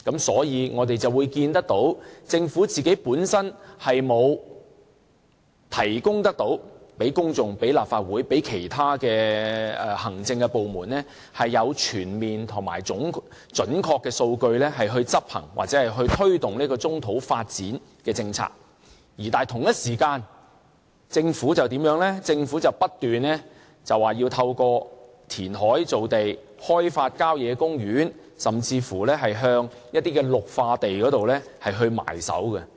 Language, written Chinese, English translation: Cantonese, 所以，我們可見政府本身沒有向公眾、立法會或其他行政部門提供全面而準確的數據，以執行或推動棕土發展的政策。但是，同一時間，政府卻不斷說要透過填海造地，開發郊野公園，甚至是向一些綠化地"埋手"。, Hence we see that the Government has not provided comprehensive and accurate data to the public the Legislative Council or other administrative departments in carrying out or promoting the policy of brownfield site development while at the same time the Government keeps on saying that it has to create land through reclamation and developing country parks and even some green belts